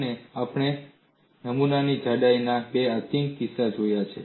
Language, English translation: Gujarati, And we have looked at two extreme cases of specimen thicknesses